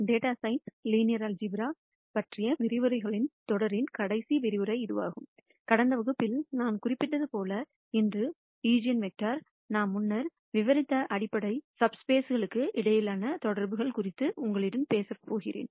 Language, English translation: Tamil, This is the last lecture in the series of lectures on Linear Algebra for data science and as I mentioned in the last class, today, I am going to talk to you about the connections between eigenvectors and the fundamental subspaces that we have described earlier